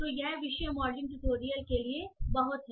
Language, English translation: Hindi, So, this is pretty much for the topic modeling tutorial